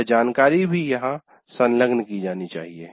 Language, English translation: Hindi, So that information should be appended here